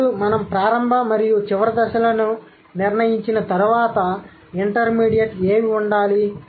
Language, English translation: Telugu, Now, once we decided about the initial and the final stages, so what should be the intermediate ones